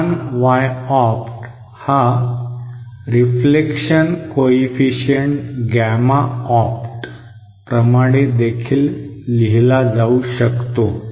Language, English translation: Marathi, RN is equal to now this small Y opt can also be written in terms of the reflection coefficient gamma opt like this